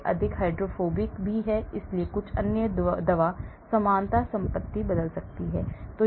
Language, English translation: Hindi, it is more hydrophobic as well, so some of the other drug likeness property may change